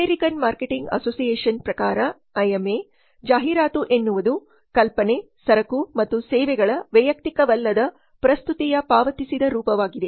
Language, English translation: Kannada, According to the American Marketing Association AMA advertising is the paid form of non personal presentation of ideas, goods and services